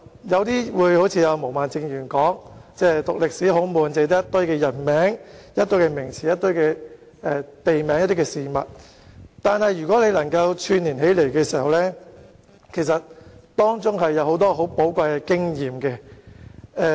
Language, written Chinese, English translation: Cantonese, 有些人可能會一如毛孟靜議員，說中國歷史科很沉悶，只有一堆人名、名詞、地名及事件，但如果我們把這些元素串連起來，便會發覺當中有許多寶貴的經驗。, Some people may like Ms Claudia MO say that the subject of Chinese history is very boring as it is only about a whole heap of names of people nouns names of places and incidents . However if we link these elements together we will find that we can get a lot of valuable experience from them